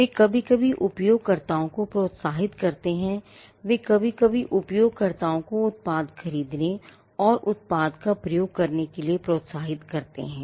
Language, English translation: Hindi, They sometime encourage users; they sometimes encourage users to take up and to buy the product and to use the product